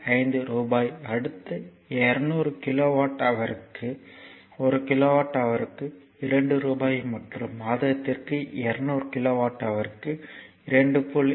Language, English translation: Tamil, 5 per kilowatt hour, say next 200 kilowatt hour per month at rupees 2 per kilowatt hour and over 200 kilowatt hour per month at rupees 2